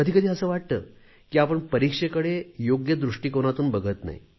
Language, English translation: Marathi, Sometimes it also appears that we are not able to perceive examinations in a proper perspective